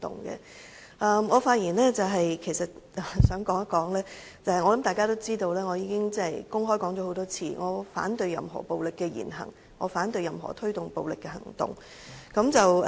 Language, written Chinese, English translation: Cantonese, 我想在發言中表明，而且相信大家亦知道，我曾公開多次表明我反對任何暴力言行，反對任何推動暴力的行動。, I would like to state clearly in my speech and I believe you all know I have indicated many times on public occasions that I object to any violent words and deeds as well as any actions that promote violence